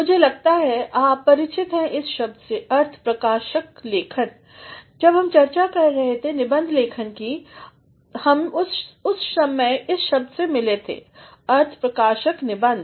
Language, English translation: Hindi, I think you are familiar with this term expository writing, while we are discussing essay writing, we had also come across this term expository essay